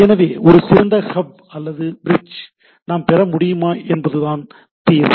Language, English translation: Tamil, So, the solution is whether we can have a smarter hub or bridge